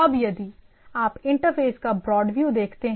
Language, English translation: Hindi, Now, so if you look at the very broad view: interfaces